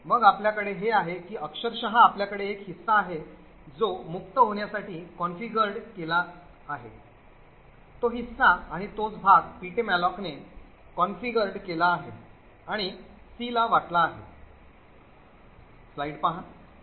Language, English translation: Marathi, So, therefore what we have here is that virtually we have one chunk which is configured to be freed that is the a chunk and the same chunk is also configured by ptmalloc and allocated to c